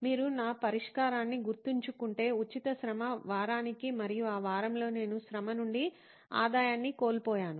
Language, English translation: Telugu, If you remember my solution, just to have free labour week and that week I actually lost revenue from labour